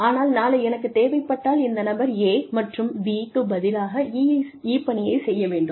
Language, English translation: Tamil, But, tomorrow, if I need this person to, maybe do job E, instead of job A and B